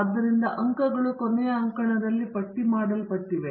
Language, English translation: Kannada, So, the scores are listed in the last column